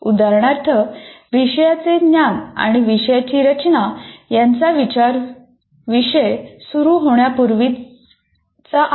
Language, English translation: Marathi, For example, the knowledge of subject matter and design of the course are prior to the starting of the course